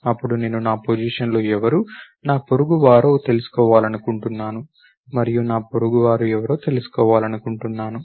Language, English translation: Telugu, Then maybe I would like to find out, at my position who is going to be my neighbor and I like to find out, who my neighbor is